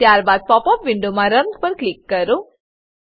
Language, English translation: Gujarati, Then click on Run in the pop up window